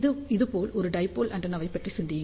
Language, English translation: Tamil, So, you can think about a dipole antenna like this